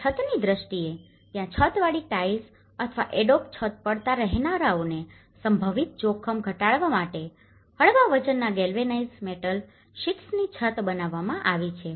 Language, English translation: Gujarati, And in terms of roof, there has been a lightweight probably galvanized metal sheets roofing to reduce potential danger to occupants from falling roof tiles or the adobe roofs